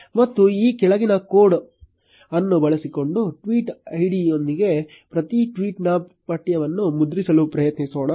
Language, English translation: Kannada, And let us try to print the text of each tweet along with the tweet id by using the following code